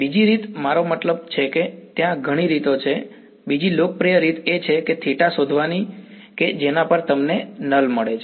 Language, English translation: Gujarati, Another way I mean there are several ways the other popular way is to find out that theta at which you get a null